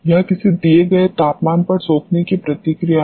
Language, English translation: Hindi, It is the adsorption response at a given temperature